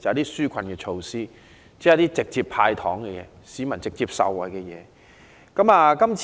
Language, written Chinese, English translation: Cantonese, 是紓困措施，即直接讓市民受惠的"派糖"措施。, It is the relief measures ie . the candies handed out to benefit the people directly